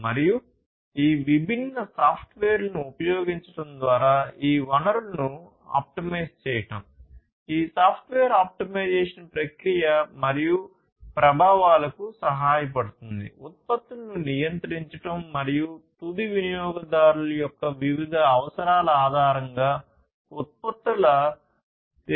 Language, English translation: Telugu, And optimization of these resources through the use of these different software, this software can help in the optimization process and the effects; basically controlling the products and the personalization of the products based on the different requirements of the end users